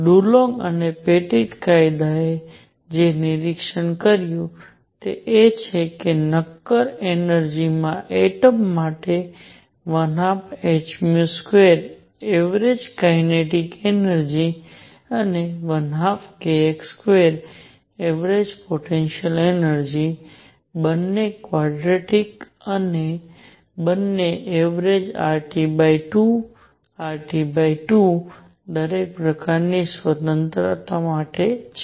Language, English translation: Gujarati, What Dulong and Petit law observed is that for atoms in a solid, energy is 1 half m v square average kinetic energy and 1 half k x square average potential energy both are quadratic and both average R T by 2 R T by 2 for each degree of freedom